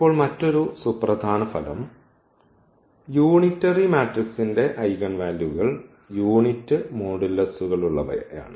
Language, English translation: Malayalam, So this unitary matrix the eigenvalues of the unitary matrix are of unit modulus